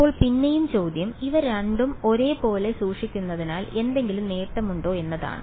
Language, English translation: Malayalam, So again so, question is that is there any advantage of keeping these two the same so first